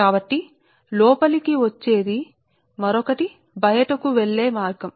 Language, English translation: Telugu, so one is incoming, another is outgoing path